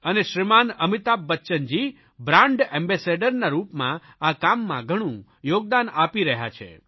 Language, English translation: Gujarati, And for this, Shrimaan Amitabh Bachchan Ji is making a significant contribution as a brand ambassador